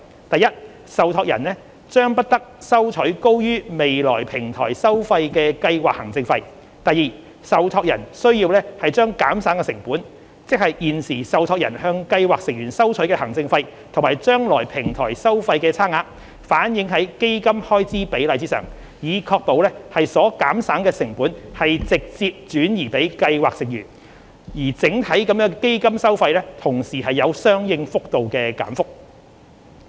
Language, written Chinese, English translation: Cantonese, 第一，受託人將不得收取高於未來平台收費的計劃行政費；第二，受託人須把減省的成本，即現時受託人向計劃成員收取的行政費與將來平台收費之差額，反映在基金開支比率上，以確保所減省的成本直接轉移予計劃成員，而整體的基金收費同時有相應幅度的減幅。, Firstly the scheme administration fee charged by the trustee shall not exceed the future Platform fee . Secondly the trustee shall reflect the cost savings ie . the difference between the existing administration fee charged by the trustee on scheme members and the future Platform fee in the Fund Expense Ratio so as to ensure straight pass - on of cost savings to scheme members and at the same time there will be corresponding reduction in the overall fees for the funds